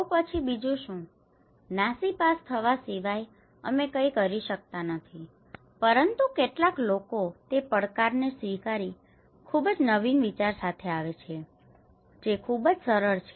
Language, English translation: Gujarati, So then what else, are you hopeless, we cannot do anything, some people coming with accepting that challenge, coming with a very innovative idea, a very innovative idea and very simple